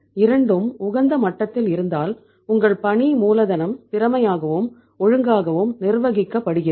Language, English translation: Tamil, If both are at the optimum level your working capital is managed efficiently and properly